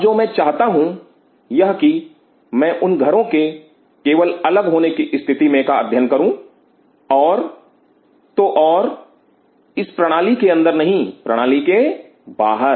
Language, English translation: Hindi, Now what I am asking is that I only wanted to study these houses in isolation and that to not in this system outside the system